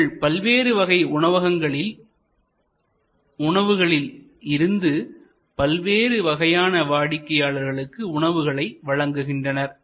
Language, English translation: Tamil, So, they pick up food from multiple restaurants and deliver to multiple customers